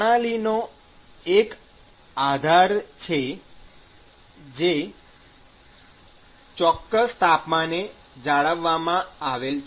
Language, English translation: Gujarati, There is a base system which is maintained at a certain temperature